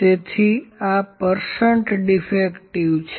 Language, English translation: Gujarati, So, this is percent defective